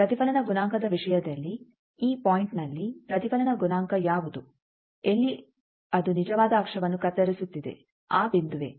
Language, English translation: Kannada, So, in terms of reflection coefficient, what is the reflection coefficient at this point where it is cutting the real axis this point